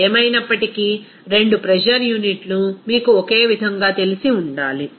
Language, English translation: Telugu, So, anyway two pressure’s units should be you know the same